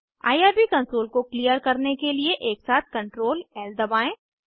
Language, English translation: Hindi, Press Ctrl+L simultaneously to clear the irb console